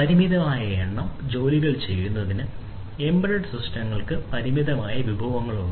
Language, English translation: Malayalam, Embedded systems have limited resources for per performing limited number of tasks